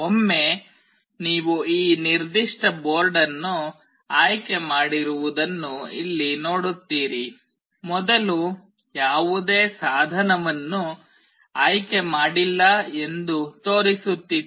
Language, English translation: Kannada, And once you do that you will see here that this particular board got selected, earlier it was showing no device selected